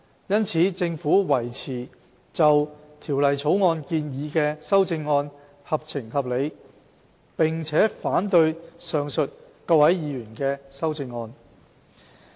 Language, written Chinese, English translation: Cantonese, 因此，政府維持就《條例草案》建議的修正案合情合理，並反對上述各位議員的修正案。, Hence the Government maintains the view that its amendments are fair and reasonable and opposes the aforementioned amendments proposed by Members